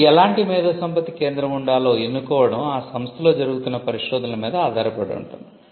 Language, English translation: Telugu, Now, the choice of the type of IP centre can depend on the amount of research that is being done in the institute